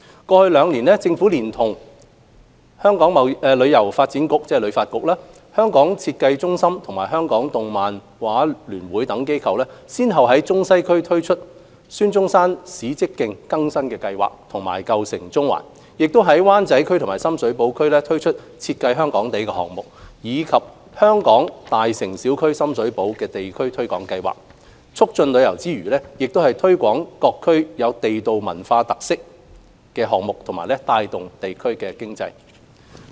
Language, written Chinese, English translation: Cantonese, 過去兩年，政府連同香港旅遊發展局、香港設計中心及香港動漫畫聯會等機構，先後在中西區推出孫中山史蹟徑更新計劃和"舊城中環"、在灣仔區和深水埗區推出"設計香港地"項目，以及"香港.大城小區─深水埗"地區推廣計劃，促進旅遊之餘，也推廣各區地道文化特色和帶動地區經濟。, Over the past two years the Government in collaboration with organizations such as the Hong Kong Tourism Board HKTB Hong Kong Design Centre and Hong Kong Comics and Animation Federation rolled out the revitalization of Dr Sun Yat - sen Historical Trail and Old Town Central in Central and Western District as well as the Design District Hong Kong project and Hong Kong Neighbourhoods―Sham Shui Po campaign in Wan Chai and Sham Shui Po Districts respectively to promote both tourism and the local cultural characteristics of the districts concerned for energizing local economies